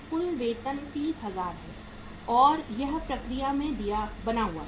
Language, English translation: Hindi, Wages of total are 30,000 and it remains in process